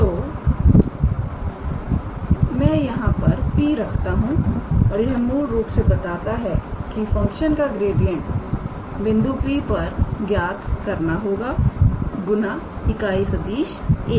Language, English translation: Hindi, So, I can put a P here and that basically says that the gradient of the function has to be calculated at the point P times the unit vector a cap